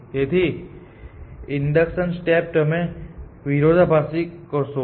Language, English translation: Gujarati, So, the induction step, you will do by contradiction